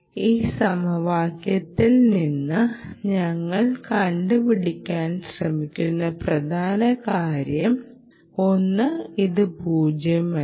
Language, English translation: Malayalam, but you see, the main point we are trying to drive at in this equation is number one, is this is nonzero